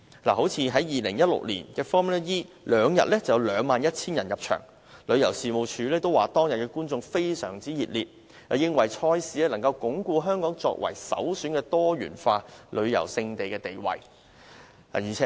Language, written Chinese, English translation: Cantonese, 以2016年的 Formula E 錦標賽為例，兩天已有 21,000 人入場，旅遊事務署也說觀眾反應非常熱烈，認為賽事能鞏固香港作為首選的多元化旅遊勝地的地位。, Take the FIA Formula E Championship held in 2016 as an example . There were 21 000 spectators in just two days and the Tourism Commission said that the event was very well - received reinforcing Hong Kongs position as a premier destination offering diversified attractions for visitors